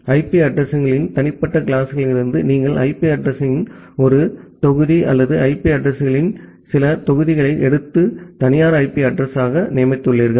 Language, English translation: Tamil, So, from individual classes of IP addresses, you have taken one block of IP address or few block of blocks of IP addresses and designated them as the private IP address